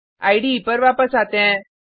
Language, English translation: Hindi, Come back to the IDE